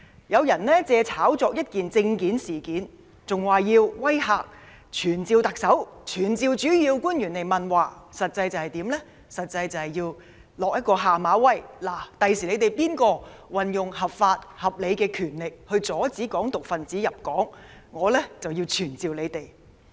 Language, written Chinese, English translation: Cantonese, 有人借炒作一件簽證事件，威嚇要傳召特首，傳召主要官員，實際上是向政府施下馬威，警告官員日後即使合法、合理行使權力阻止"港獨"分子入境，都會被傳召。, Some people has hyped the visa incident and threatened to summon the Chief Executive and principal officials . These people are actually cracking the whip on the Government sending a warning to officials that they will risk being summoned even if they lawfully and reasonably exercise their power to prevent Hong Kong independence activists from entering the territory in the future